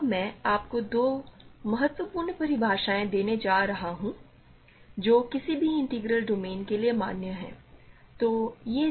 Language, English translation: Hindi, So, now I am going to give you two very important definitions which are valid in any integral domains ok